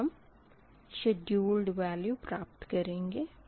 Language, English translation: Hindi, now you have to compute that schedule value, right